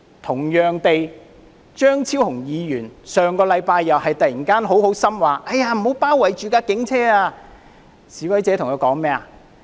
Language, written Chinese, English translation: Cantonese, 同樣地，張超雄議員上星期又突發善心說不要包圍警車，示威者對他說"走吧！, Similarly Dr Fernando CHEUNG in a burst of benevolence urged protesters not to besiege police vehicles last week . That was met with Go away!